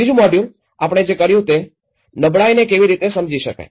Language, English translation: Gujarati, The second module, what we did was the, how one can understand the vulnerability